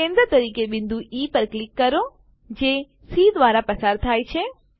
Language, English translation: Gujarati, Click on point E as centre and which passes through C